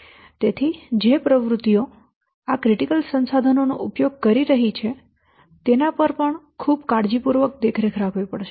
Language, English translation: Gujarati, So, the activities which are using these critical resources, they have to be also monitored very carefully